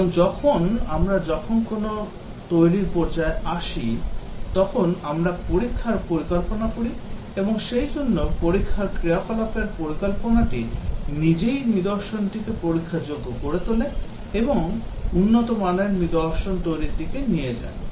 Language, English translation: Bengali, And also when we due a development stage we plan out the testing and therefore the planning of test activity itself makes the artifact testable and leads to good quality artifact to be produced